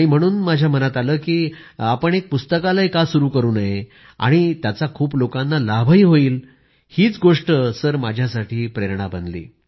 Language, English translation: Marathi, So, I thought why not establish a library, which would benefit many people, this became an inspiration for me